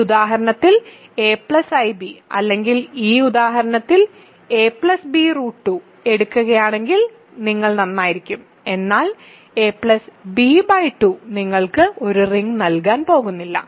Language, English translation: Malayalam, If you take a plus b i in this example or a plus b root 2 in this example, you will be fine; but a plus b by 2 is not going to give you a ring